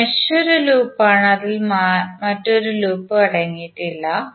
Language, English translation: Malayalam, But mesh is a loop that does not contain any other loop within it